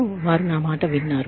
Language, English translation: Telugu, I think, they heard me